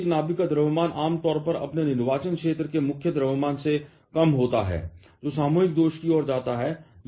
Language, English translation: Hindi, The mass of a nucleus is generally lesser than the combined mass of his constituency, which leads to the mass defect